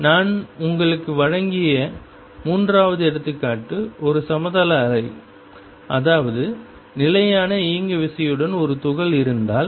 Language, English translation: Tamil, Third example I gave you was that of a plane wave, that is if I have a particle with fixed momentum p